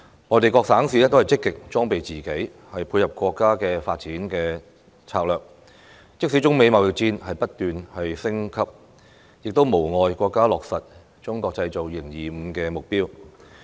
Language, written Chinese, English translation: Cantonese, 內地各省市均積極裝備自己，配合國家的發展策略，即使中美貿易戰不斷升級，亦無礙國家落實"中國製造 2025" 的目標。, Various provinces and cities in the Mainland are taking active steps to prepare themselves so that they will fit in with the national development strategy . Despite the escalating trade war between China and the United States our country remains steadfast in pursuing the objectives of Made in China 2025